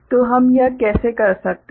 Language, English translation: Hindi, So, how we can do that